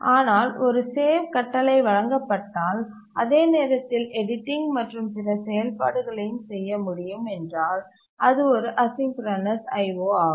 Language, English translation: Tamil, But if you are given a save command and at the same time you are able to also do editing and other operations, then it's a asynchronous I